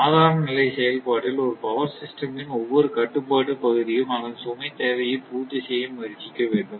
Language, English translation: Tamil, And in normal stage operation, each control area of a power system should strive to meet its load demand